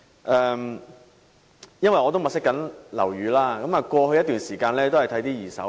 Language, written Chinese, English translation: Cantonese, 我正在物色樓宇，並在過去一段時間看過不少二手樓宇。, Since I am looking for a flat I have visited many second - hand flats in the past period of time